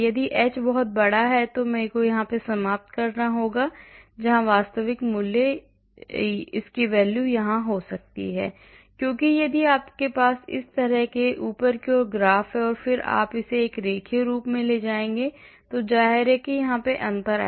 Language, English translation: Hindi, If the h is very large I may end up here where as the actual value could be here because if you have a graph like this turning upwards like this and then you would take this as a linear obviously there is a difference